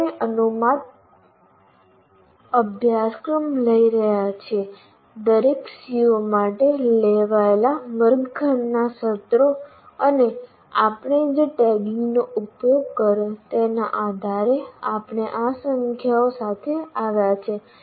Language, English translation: Gujarati, We are taking a hypothetical course and say the based on classroom sessions taken for each COO and the tagging that we have used, we came up with these numbers